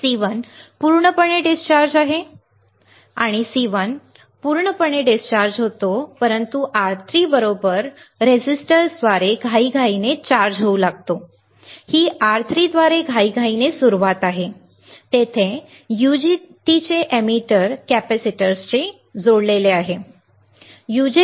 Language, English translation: Marathi, C1 is fully discharged C1 gets fully discharged, but begins to charge up exponentially through the resistors R3 right; this is the start exponentially through the R3, there is the emitter of the UJT is connected to the capacitor, right